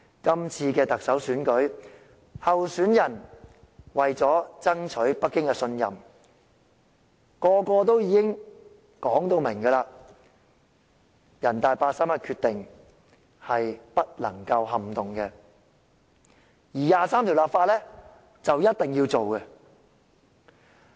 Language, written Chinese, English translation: Cantonese, 這次特首選舉，候選人為了爭取北京的信任，每一位都明言人大常委會八三一決定是不能撼動的，而就《基本法》第二十三條立法更是事在必行。, In this Chief Executive Election to win Beijings trust the candidates have all made it clear that the 31 August Decision by NPCSC is unshakeable and it is imperative to legislate for Article 23 of the Basic Law Article 23